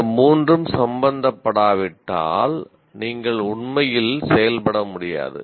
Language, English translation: Tamil, Unless all the three are involved, you cannot actually act